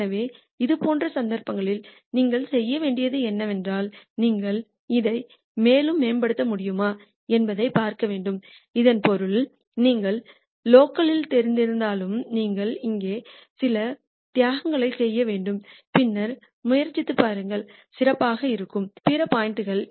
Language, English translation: Tamil, So, in cases like this what you will have to do is, you have to see whether you can improve it further, that basically means though you know locally you are very good here you have to do some sacrifice and then try and see whether there are other points which could be better